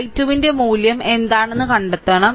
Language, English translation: Malayalam, So, what is the first you have to find out what is the value of i 2